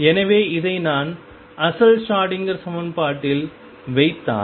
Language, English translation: Tamil, So, if I put this in the original Schrodinger equation